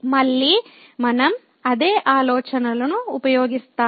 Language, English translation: Telugu, So, again we will use the same idea